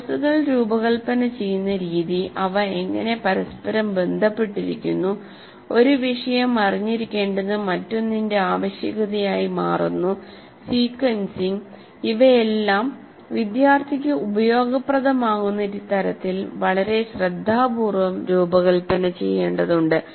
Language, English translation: Malayalam, The way the courses are designed, how they are interconnected, how one becomes a prerequisite to the other, the sequencing, all of them will have to be very carefully designed for the student to find meaning